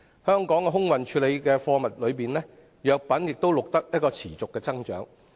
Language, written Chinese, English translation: Cantonese, 香港空運處理的貨物中，藥品錄得持續增長。, Pharmaceuticals have recorded a continuous growth in air cargo handled by Hong Kong